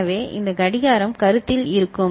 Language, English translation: Tamil, So, this clock will be the one in consideration